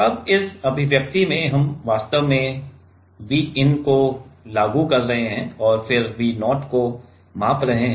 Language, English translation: Hindi, Now in this expression we are actually applying this V in and then measuring the V0 right